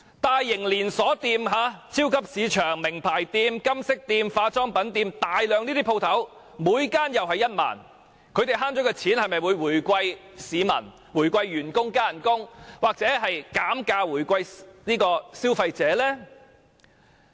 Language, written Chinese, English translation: Cantonese, 大型連鎖店、超級市場、名牌店、金飾店及化妝品店等店鋪，每間又免差餉1萬元，業主所節省的金錢會否回饋市民、回饋員工，增加工資，或減價回饋消費者呢？, For large chain stores supermarkets famous brand stores goldsmith shops cosmetic shops and the like the rates to be waived for each shop will be 10,000 . Will owners of these shops use the money saved to offer discounts to the public or increase the salaries of their employees?